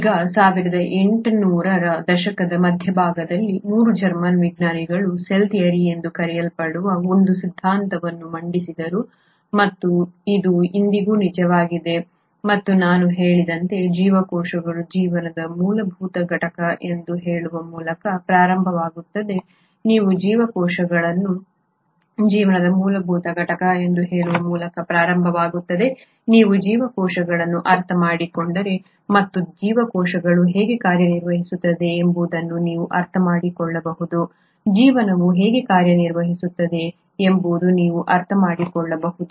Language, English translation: Kannada, Now, way back in mid 1800s, 3 German scientists came up with a theory which is called as the cell theory and this holds true even today and as I said it starts by stating that cells are the fundamental unit of life, if you understand cells and how cells function you can kind of understand how life can function